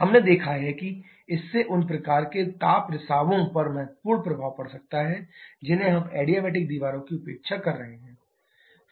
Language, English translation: Hindi, We have seen that this can have significant effect those kinds of heat leakages that we are neglecting assuming adiabatic walls